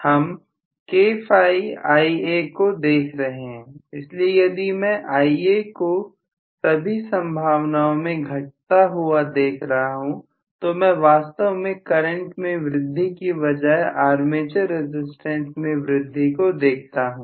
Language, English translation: Hindi, See we are looking at K Phi Ia agreed, so if I am looking at basically Ia decreasing right in all probability in all probability right then I actually look at increase in the armature current rather increase in the current